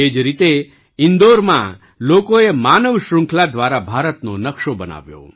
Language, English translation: Gujarati, Similarly, people in Indore made the map of India through a human chain